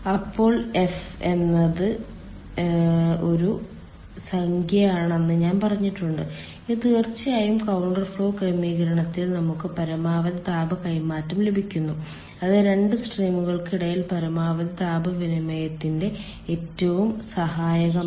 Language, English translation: Malayalam, f is a number and ah it is of course like this: in counter flow arrangement we get maximum amount of heat transfer that is most conducive for maximum heat exchange between two streams